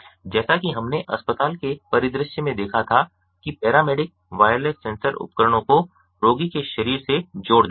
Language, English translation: Hindi, as we had seen in the hospital scenario, the paramedic attaches the wireless sensor devises to the patient body